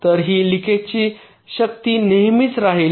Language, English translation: Marathi, ok, so this leakage power will always be there